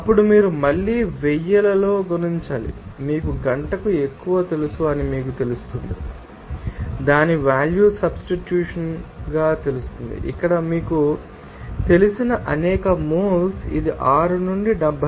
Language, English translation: Telugu, Then you have to multiply again into 1000s it will come to that you know more per hour few you know substitute the value of that is a number of moles there with this you know, this in specific enthalpy of 6 to 72